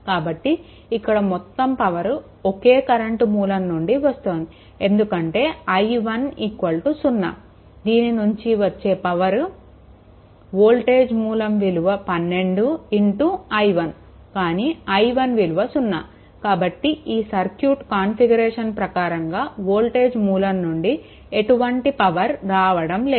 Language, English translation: Telugu, So, if you if you see that that all the power supplied by the current source, because in the circuit i 1 is equal to 0 i 1 is equal to 0; that means, power supplied by voltage source is 12 into i 1 but i 1 is equal to 0; that means, this voltage source is not supplied any power as per this circuit configuration is concerned right